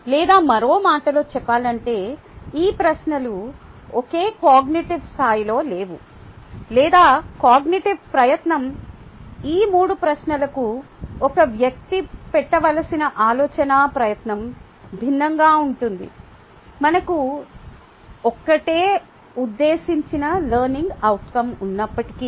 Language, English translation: Telugu, even though we use verbs, they are not at the same difficulty level or, in other words, these questions are not in the same cognitive level or the cognitive effort, the thinking effort that a person has to put is different for these three questions, even though we have one intended learning outcome